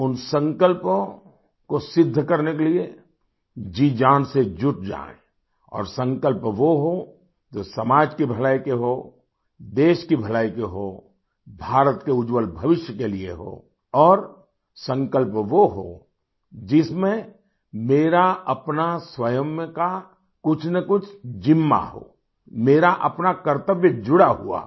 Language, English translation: Hindi, and to realize those resolves, we persevere wholeheartedly with due diligence…and resolves should be such that are meant for welfare of society, for the good of the country, for a bright future for India…resolves should be such in which the self assumes one responsibility or the other…intertwined with one's own duty